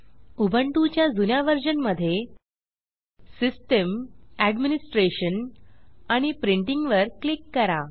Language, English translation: Marathi, In older versions of Ubuntu, click on System Administration and Printing